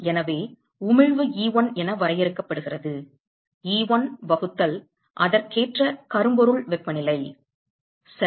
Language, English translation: Tamil, So, we know that emissivity is defined as E1 divided by corresponding black body temperature right